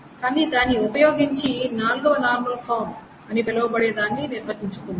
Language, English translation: Telugu, But using that, let us define what is called the fourth normal form